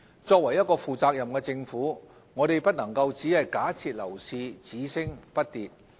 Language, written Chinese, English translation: Cantonese, 作為一個負責任的政府，我們不能夠只假設樓市只升不跌。, As a responsible Government we should not assume ever rising property prices